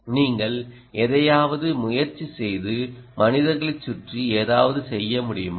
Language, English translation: Tamil, how can you try something and can you do something around the humans